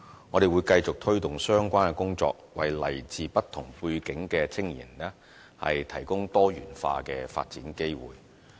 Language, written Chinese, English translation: Cantonese, 我們會繼續推動相關工作，為來自不同背景的青年人提供多元化的發展機會。, We will continue to promote relevant efforts to provide young people from different backgrounds with diversified development opportunities